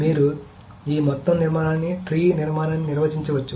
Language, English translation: Telugu, So you can define this entire structure, the tree structure